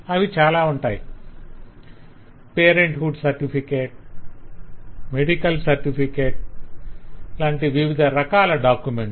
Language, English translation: Telugu, the different kinds of documents like parenthood certificate, medical certificate